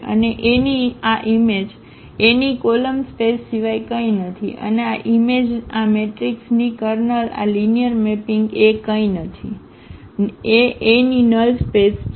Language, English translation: Gujarati, And this image of A is nothing but the column space of A and this image the kernel of this matrix this linear mapping A is nothing but the null the null space of A